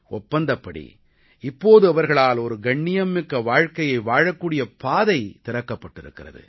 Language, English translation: Tamil, As per the agreement, the path to a dignified life has been opened for them